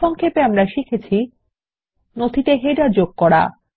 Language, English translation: Bengali, In this tutorial we will learn: How to insert headers in documents